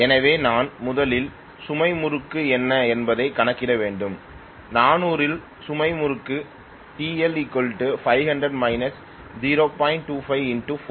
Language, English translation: Tamil, So I should first of all calculate what is the load torque, load torque at 400 will be 500 minus 0